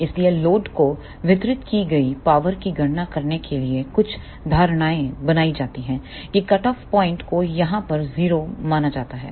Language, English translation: Hindi, So, in order to calculate the power delivered to the load few assumptions are made that the cutoff point is considered to be here at 0